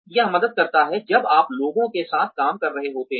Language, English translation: Hindi, It helps, when you are dealing with people